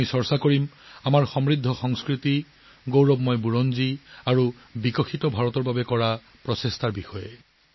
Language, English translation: Assamese, We will discuss our rich culture, our glorious history and our efforts towards making a developed India